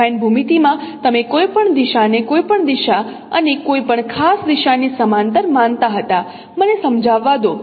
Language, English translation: Gujarati, In affine geometry you are you consider any direction, any parallel to any direction and any particular direction, let me explain